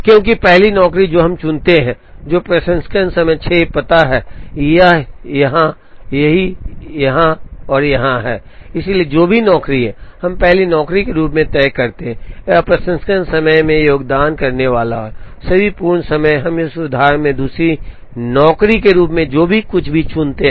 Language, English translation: Hindi, Because the first job that we pick, which is, which has processing time 6 finds, it is place in here, here, here and here, so whatever job, we fix as the first job, it is processing time is going to contribute to all the 4 completion times, whatever we pick as the second job in this example 10